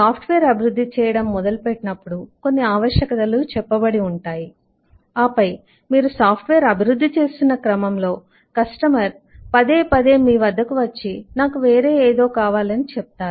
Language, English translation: Telugu, when you start developing the software, you are told something and then, as you go through the development, the customer would repeatedly come back to you and say that I want something different now